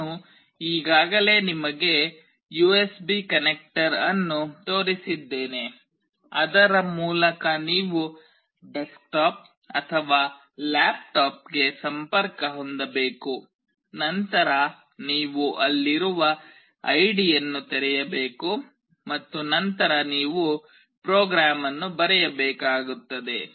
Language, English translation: Kannada, I have already shown you the USB connector through which you have to connect to either a desktop or a laptop, then you have to open the id that is there and then you need to write the program